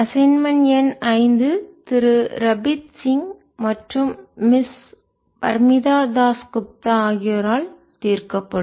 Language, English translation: Tamil, assignment number five will be solved by mr rabeeth singh and miss parmita dass gupta